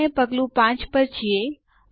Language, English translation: Gujarati, We are in Step 5